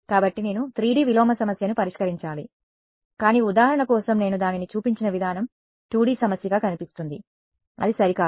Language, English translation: Telugu, So, then I have to solve a 3D inverse problem, but the way I have shown it for illustration it looks like a 2D problem, it need not be ok